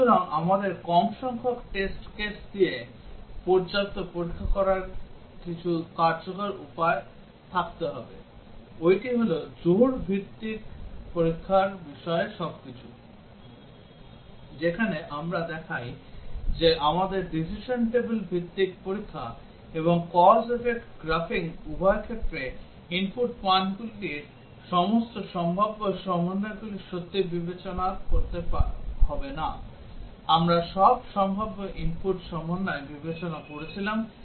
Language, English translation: Bengali, So, we need to have some effective ways of doing adequate testing with less number of test cases, and that is all about the pair wise testing, where we show that we do not have to really consider all possible combinations of input values in both decision table based testing and cause effect graphing, we were considering all possible input combinations